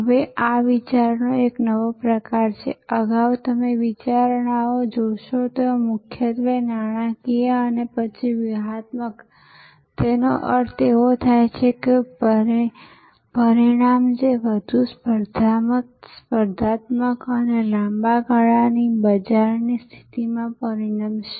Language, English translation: Gujarati, Now, this is the new type of thinking, earlier as you will see the considerations where mainly financial and then strategic; that means outcomes that will result in greater competitiveness and long term market position